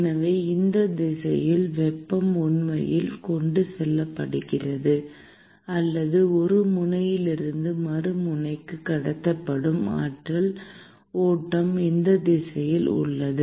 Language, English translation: Tamil, So, this is the direction in which the heat is actually transported; or the flux of energy that is being transported from one end to the other end is in this direction